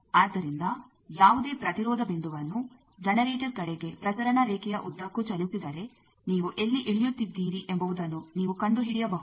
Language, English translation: Kannada, So, any impedance point if you move along the transmission line towards the generator you can find out where you are landing up